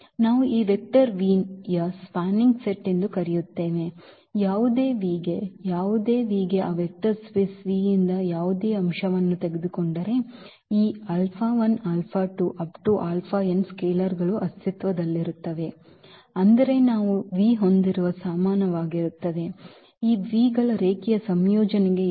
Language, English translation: Kannada, So, we will call that this is a spanning set of this vector v if for any V, if for any v take any element from that vector space V then there exist the scalars this alpha 1, alpha 2, alpha n such that we have v is equal to this linear combination of these vs here